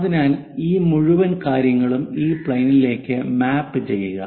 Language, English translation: Malayalam, So, map this entire stuff onto this plane